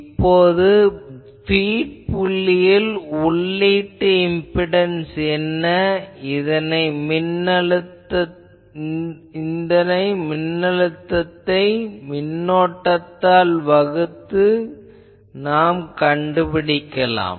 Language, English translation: Tamil, So, if we, because what will be the input impedance at the feed point, we will find out the applied voltage divided by the current